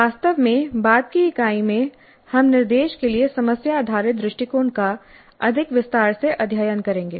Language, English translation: Hindi, In fact, in a later unit we'll study the problem based approach to instruction in greater detail